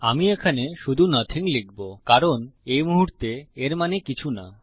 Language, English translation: Bengali, Ill just write here nothing because at the moment it means nothing